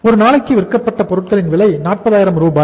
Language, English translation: Tamil, Cost of goods sold per day is 40000